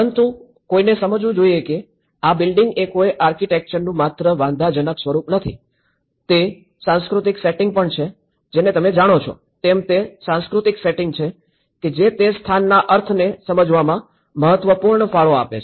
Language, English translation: Gujarati, But one has to understand that the building is not just an objectified form of an architecture, it is also the cultural setting you know the cultural setting which makes an important contribution in understanding giving meanings to that place